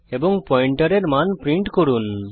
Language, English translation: Bengali, And print the value of the pointer